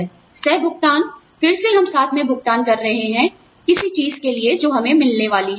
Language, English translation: Hindi, Copayment is again, we are paying together, for something that, we are going to get